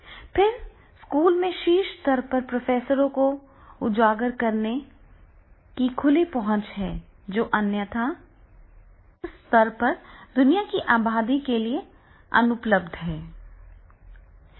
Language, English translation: Hindi, Then the open access exposing top level professors at schools that would otherwise be unavailable to merge up the world's population in the global level